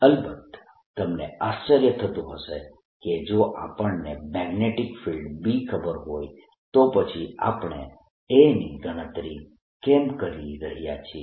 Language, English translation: Gujarati, off course, you maybe be wondering: if we know the magnetic field b, why are we calculating a then